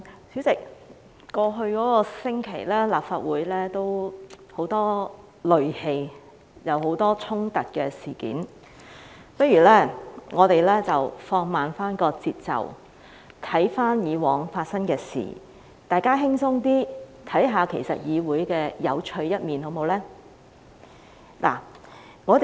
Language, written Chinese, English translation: Cantonese, 主席，在過去一星期，立法會充滿戾氣，發生了很多衝突事件，不如我們放慢節奏，回看以往發生的事，大家輕鬆一點，看看議會有趣的一面，好嗎？, Chairman the Legislative Council was filled with rage last week as many clashes had taken place . It is time to chill out and review what happened in the past . Let us have a look at the interesting side of the legislature to relax ourselves shall we?